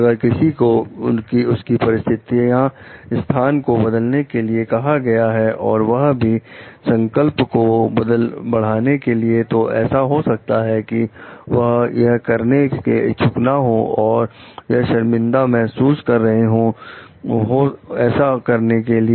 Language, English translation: Hindi, If somebody is asked to change their position due to the escalation of commitment, they may not be willing to do so, they may feel embarrassed to do so